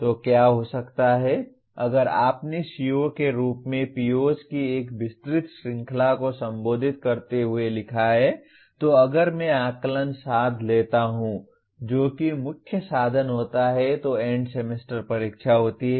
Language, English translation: Hindi, So what can happen is if whatever you have written as CO addressing a wide range of POs then if I take the Assessment Instrument which happens to be the main instrument happens to be End Semester Examination